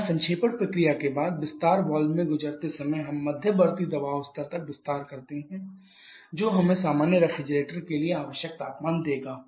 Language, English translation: Hindi, Here after the condensation process while passing to the expansion valve we expand to the intermediate pressure level which gives us the required temperature for the normal refrigerator